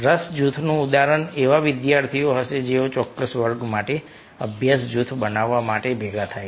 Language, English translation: Gujarati, an example of an interest group would be students who come together to form a study group for a specific class